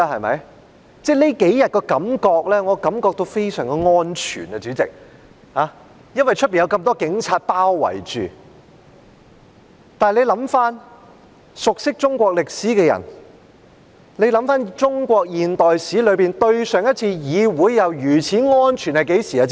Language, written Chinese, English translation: Cantonese, 我這幾天感到非常"安全"，主席，因為被外面那麼多警察包圍着，但回想過去，熟悉中國歷史的人是否知道在中國現代史中，上一次議會是如此"安全"的是甚麼時候？, I feel very safe in these several days President as I am surrounded by so many policemen outside . But let us think about the past and for people who are familiar with Chinese history do they know when it was the last time the parliamentary assembly was so safe in the modern history of China?